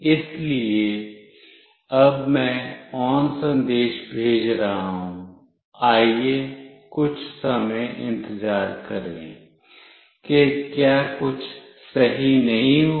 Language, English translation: Hindi, So, now I am sending ON message, let us wait for some time nothing happened right